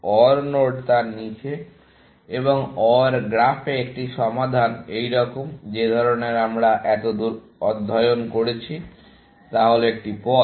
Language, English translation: Bengali, OR node is below that, and a solution in the OR graph like this, the kind that we have been studying so far, is the path